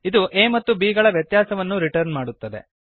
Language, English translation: Kannada, It returns sum of a and b